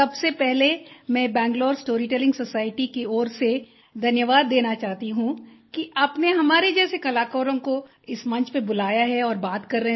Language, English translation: Hindi, First of all, I would like to thank you on behalf of Bangalore Story Telling Society for having invited and speaking to artists like us on this platform